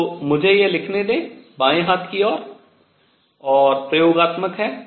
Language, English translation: Hindi, So, let me write this left hand side is experimental